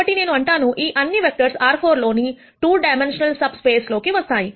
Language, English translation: Telugu, So, I say that, all of these vectors fall in a 2 dimensional subspace in R 4